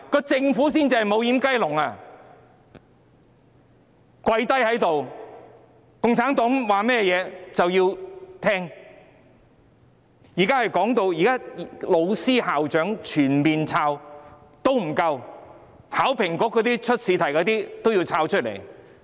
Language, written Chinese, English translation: Cantonese, 政府才是"無掩雞籠"，他們"跪低"了，共產黨說甚麼也會聽，現在即使全面審查老師、校長也不夠，連為考評局出試題的人也要審查。, The Government is exactly a doorless chicken coop . They are servile and obedient to the Communists . As if the full screening of teachers and principals are not enough they have gone so far as to screen people who set exam questions for HKEAA